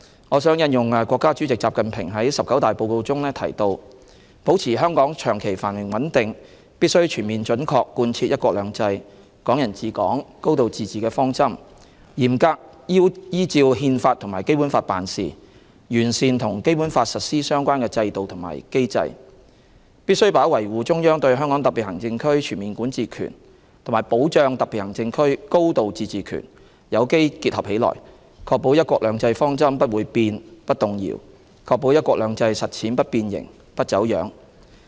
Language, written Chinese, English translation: Cantonese, 我想引用國家主席習近平在"十九大"報告中提到"保持香港長期繁榮穩定，必須全面準確貫徹'一國兩制'、'港人治港'、高度自治的方針，嚴格依照《憲法》和《基本法》辦事，完善與《基本法》實施相關的制度和機制"、"必須把維護中央對香港特別行政區全面管治權和保障特別行政區高度自治權有機結合起來，確保'一國兩制'方針不會變、不動搖，確保'一國兩制'實踐不變形、不走樣"。, I would like to quote from President XI Jinpings report to the 19 National Congress of the Communist Party of China which states that [t]o maintain long - term prosperity and stability in Hong Kong it is imperative to fully and faithfully implement the policies of one country two systems Hong Kong people administering Hong Kong a high degree of autonomy to act in strict compliance with the Constitution and the Basic Law and to improve the systems and mechanisms for enforcing the Basic Law must organically combine the upholding of the Central Authorities overall jurisdiction over the Hong Kong Special Administrative Region with the safeguarding of a high degree of autonomy of these special administrative regions so as to ensure that the principle of one country two systems remains unchanged and unshaken and that the practice of the one country two systems policy remains intact and undistorted